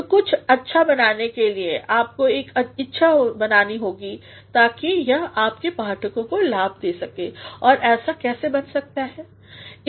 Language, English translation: Hindi, So, in order to make something good, you must create a sort of tendency so that it benefits your readers and how can it become so